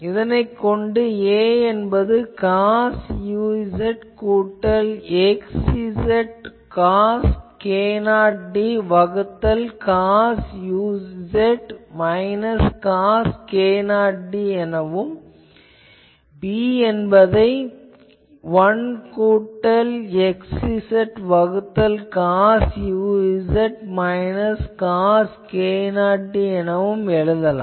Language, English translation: Tamil, So, finally, with the help of this a becomes minus cos u z plus x z cos k 0 d by cos u z minus cos k 0 d, b becomes 1 plus x z by cos u z minus cos k 0 d